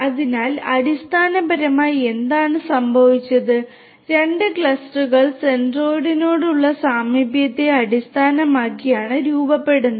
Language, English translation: Malayalam, So, what is essentially what has happened is that two clusters are formed based on their proximity to the centroid